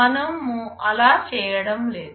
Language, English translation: Telugu, We are not doing that